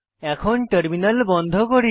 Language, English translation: Bengali, Let us close the Terminal now